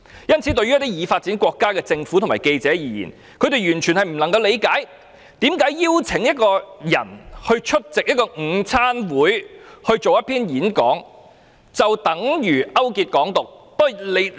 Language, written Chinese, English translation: Cantonese, 因此，對於一些已發展國家的政府和記者而言，他們完全不能理解為何邀請一個人出席午餐會進行演講，就等於勾結"港獨"。, Therefore to the governments and journalists of developed countries they can hardly understand why inviting a person to speak at a luncheon is tantamount to colluding with an advocate of Hong Kong independence